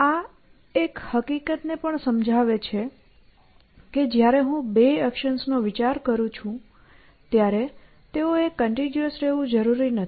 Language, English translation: Gujarati, So, this also illustrates a fact that when I am considering two actions, they do not necessarily have to be continuous essentially